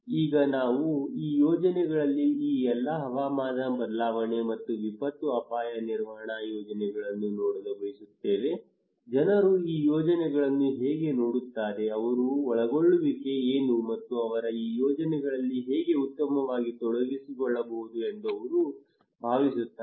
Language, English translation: Kannada, Now we want to see that in these projects on all this climate change and disaster risk management projects, how people see these projects, what are the involvement they have and how they feel that they can better involve into these projects